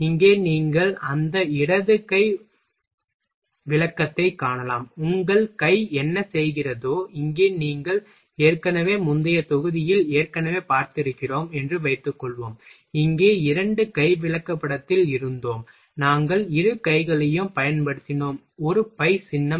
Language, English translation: Tamil, And here you can see that left hand description, whatever your hand is doing suppose that in a you have already seen in last previous module here, we had in a two handed chart here, we used both hand in we recorded operation of both handed using a phi symbol